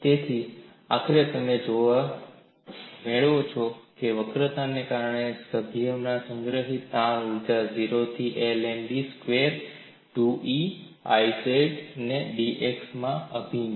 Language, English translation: Gujarati, So, what you finally get is, strain energy stored in the member due to bending is integral 0 to l M b squared 2 E I z into d x